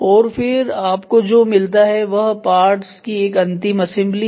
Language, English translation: Hindi, And then what you get is a final assembly of parts